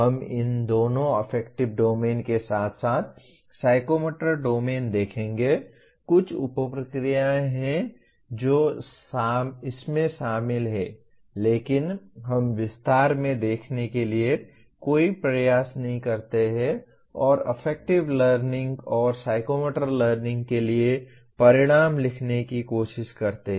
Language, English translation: Hindi, We will see both these affective domain as well as psychomotor domain, some of the sub processes that are involved; but we do not make any attempt to get into the detail and try to write outcomes for affective learning and psychomotor learning